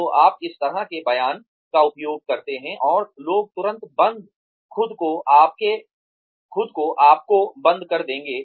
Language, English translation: Hindi, So, you use this kind of a statement, and people will immediately, shut , themselves, shut you out